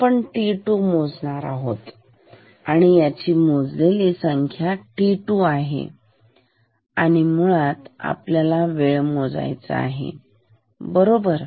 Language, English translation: Marathi, Measured this, measure this value, measured t 2; t 2 is to be measured ok so, basically we have to measure this time right